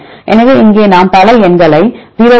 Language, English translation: Tamil, So, here we get several numbers 0